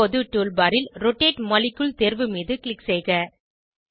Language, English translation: Tamil, Now Click on Rotate molecule option in the tool bar